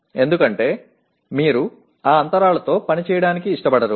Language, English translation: Telugu, Because you do not want to work with those gaps